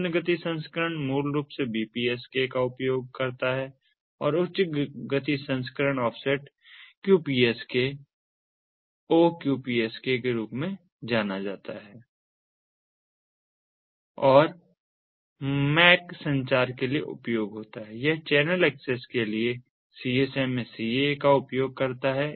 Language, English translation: Hindi, the low speed version basically uses the bpsk and the high speed version uses what is known as the offset qpsko, qpsk and for ah mac communication it uses the csmaca ah for channel access